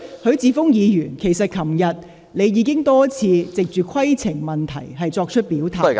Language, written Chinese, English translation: Cantonese, 許智峯議員，其實你昨天已經多次藉規程問題作出表態......, I have clearly pointed out Mr HUI Chi - fung as a matter of fact you had already shown your stance multiple times yesterday by means of points of order